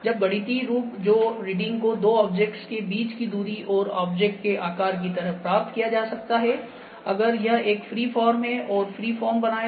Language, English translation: Hindi, When mathematical form that readings can be obtained like the distance between the two objects and the shape of the object if it is a free form it will create a free form